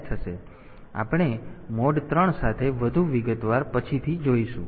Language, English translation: Gujarati, So, we will come to more detail with mode 3 later